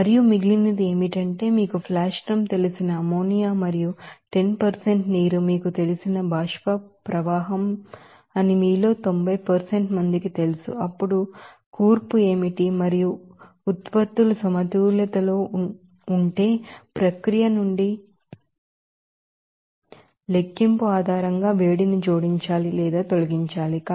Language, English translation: Telugu, And remaining is you know that 90% of you know that ammonia and 10% of water that you know vapour stream from that you know flash drum then what is the composition and also you have to find out what should be the heat added to or removed based on the calculation from the process if the products are at equilibrium